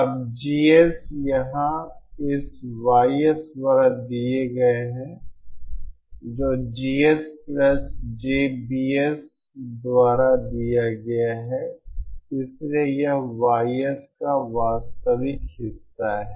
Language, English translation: Hindi, Now GS here is given by this YSs is given by GS plus JBS so it is the real part of YS